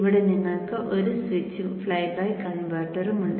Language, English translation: Malayalam, You have the switch here with the flyback converter